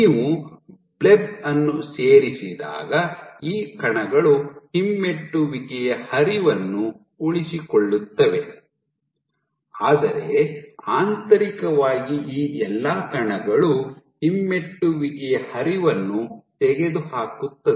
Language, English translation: Kannada, When you add bleb these particles retain the retrograde flow, but internally all these particles retrograde flow is eliminated